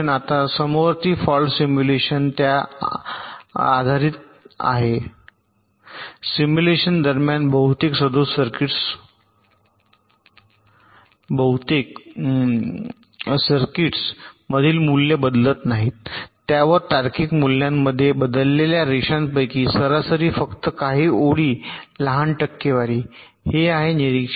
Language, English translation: Marathi, now, concurrent fault simulation is based on the premise that during simulation most of the values in most of the faulty circuits do not change, that on the average, only a few lines, ah, small percentage of the lines they change in the logic values